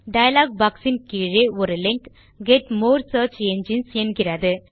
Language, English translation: Tamil, At the bottom of the dialog is a link that say Get more search engines…